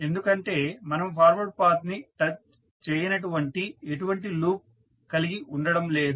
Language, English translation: Telugu, Because, we do not have any loop which is not touching the forward path